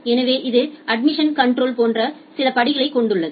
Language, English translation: Tamil, So, it has few steps like the admission control